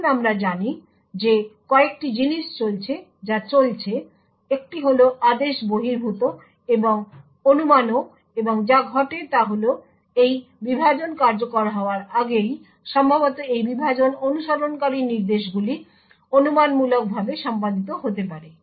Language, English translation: Bengali, Now as we know there are a couple of things which are going on, one is the out of order and also the speculation and what happens is that even before this divide gets executed it may be likely that the instructions that follow this divide may be speculatively executed